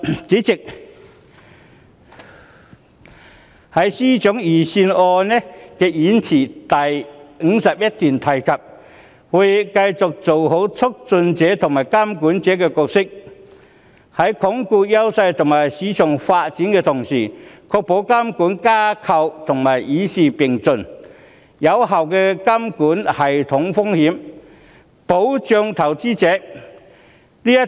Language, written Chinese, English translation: Cantonese, 主席，司長的預算案演辭第51段提及："我們會繼續做好促進者和監管者角色，在鞏固優勢及發展市場的同時，確保監管框架與時並進、有效管控系統性風險，保障投資者"。, President in paragraph 51 of the Budget speech the Financial Secretary mentions that We will continue to fulfil the dual roles of facilitator and regulator . While consolidating our strengths and developing the market we will ensure that our regulatory framework can keep pace with the times manage systemic risks effectively and provide protection for investors